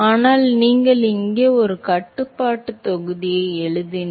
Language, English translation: Tamil, But supposing, if you write a control volume here